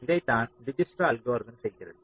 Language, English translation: Tamil, now what dijkstras algorithm says